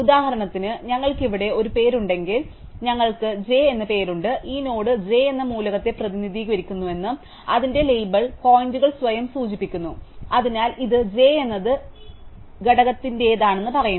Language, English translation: Malayalam, So, if we have a name here for example, we have name j it says that this node represents the element j and its label points back to itself, so it says this is j belongs to the component j